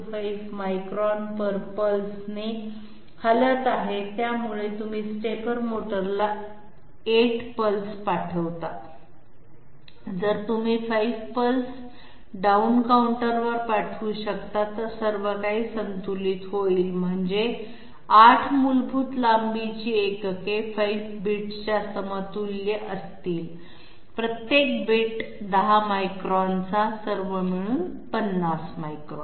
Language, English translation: Marathi, 25 8 = 5 10, so by the time you send 8 pulses to the stepper motor, if you can send 5 pulses to the position down counter, everything will be balanced that means 8 basic length units will be equivalent to 5 bits representing 10 microns each, 50 microns here, 50 microns here